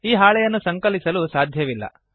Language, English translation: Kannada, The sheet cannot be modified